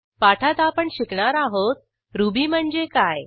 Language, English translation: Marathi, In this tutorial we will learn What is Ruby